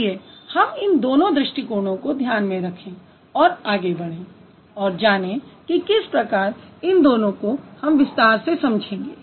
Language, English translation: Hindi, So, let's keep these two approaches in mind and then we will move to how we are going to understand each of them in a much detail